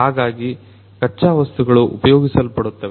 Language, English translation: Kannada, So, raw materials are going to be used